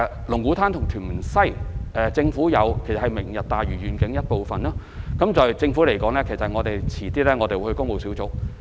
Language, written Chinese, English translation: Cantonese, 龍鼓灘和屯門西是"明日大嶼願景"的一部分，政府稍後會將相關文件交予工務小組委員會討論。, Both Lung Kwu Tan and Tuen Mun West form part of the Lantau Tomorrow Vision and relevant documents will be later submitted to the Public Works Subcommittee for consideration